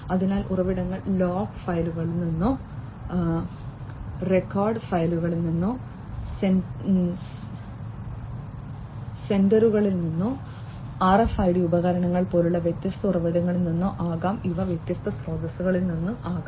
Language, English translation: Malayalam, So, the sources could be from log files, record files, you know from sensors, from different other sources like RFID devices, etcetera and these could be coming from different sources